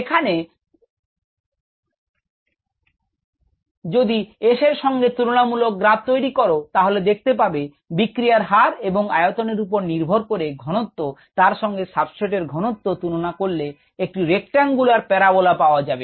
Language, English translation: Bengali, if you plot v verses s, the rate of the reaction, the volumetric rate of the reaction by ah, with ah, the substrate concentration, you get ah rectangular parabola